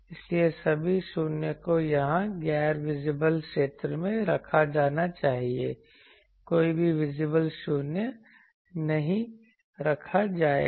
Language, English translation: Hindi, So, all the 0s need to be placed here in the nonvisible zone, no visible the 0s will be placed ok